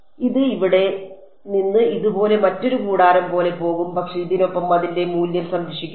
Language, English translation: Malayalam, It will go from here like this right another tent over here, but its value along this will be conserved